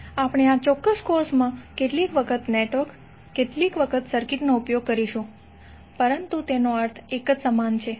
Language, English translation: Gujarati, So we in this particular course also we will used some time network some time circuit, but that means the same thing